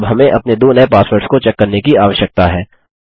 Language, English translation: Hindi, So from here on we can check our passwords